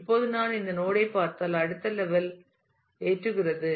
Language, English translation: Tamil, Now, if I look at this node the next level loads